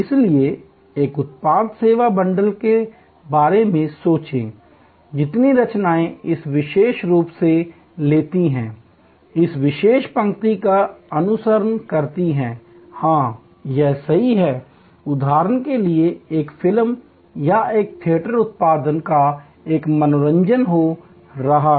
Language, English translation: Hindi, So, think about a product service bundle, the creations of which takes this particular, follows this particular line, yes, that’s is right, a movie for example or a theater production or an entertainment happening